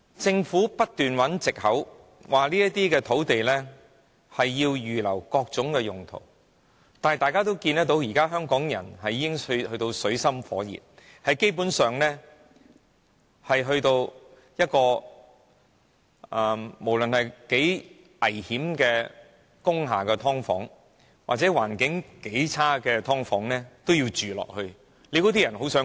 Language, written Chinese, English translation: Cantonese, 政府不斷找藉口說這些土地要預留作各種用途，但香港人已到了水深火熱的境地，無論如何危險的工廈"劏房"，環境如何惡劣，都有人會繼續住下去。, The Government keeps using the excuses that those sites are reserved for various purposes but Hong Kong people are already in dire straits . No matter how dangerous subdivided units in factory buildings are and how appalling the living conditions are people have no choice but continue to live in them